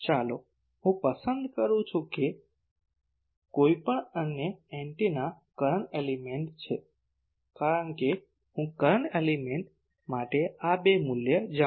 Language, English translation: Gujarati, Let me choose that any other antenna to be current element, because I know these two value for the current element